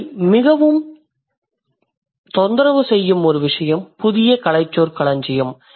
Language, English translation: Tamil, So, one thing that troubles you a lot is the new terminology